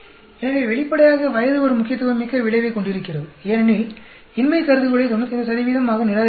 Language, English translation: Tamil, So, obviously, age has a significant effect because we have to reject the null hypothesis at 95 percent